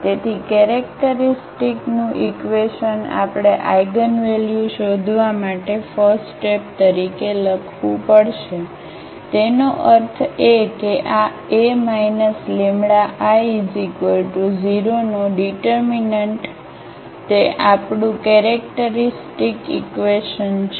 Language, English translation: Gujarati, So, the characteristic equation we have to write down as a first step to find the eigenvalues; that means, the determinant of this A minus lambda I is equal to 0 that is the characteristic equation we have